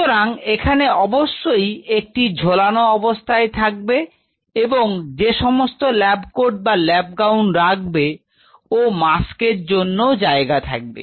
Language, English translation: Bengali, So, you have to have a hanger and everything for the lab coat or the lab gowns then you have to have the place for the mask